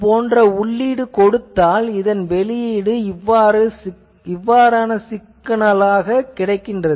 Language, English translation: Tamil, Also if you give a input signal like this, this one gives you signal like this